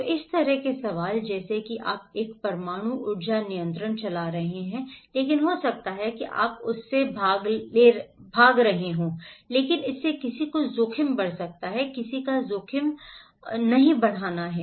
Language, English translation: Hindi, So this kind of questions like you were running a nuclear power plant but that may cause you were running from that but that may cause someone’s, increase someone’s risk